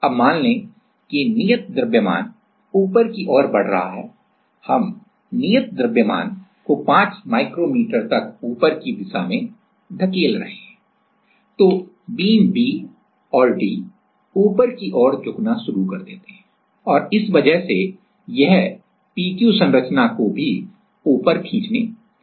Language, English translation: Hindi, Now, let us say because the proof mass is moving upwards we are pushing the proof mass in the upward direction for 5 micrometer then the beam B and D starts to bend upward and because of that it starts pulling up the P Q structure also